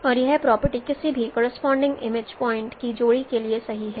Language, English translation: Hindi, And this is true for any pair of corresponding image points